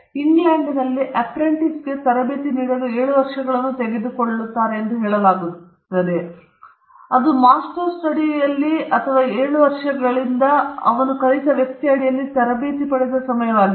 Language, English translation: Kannada, In England, it is said that it took 7 years to train an apprentice; that was time of an apprentices under a master or a person with whom he learnt was 7 years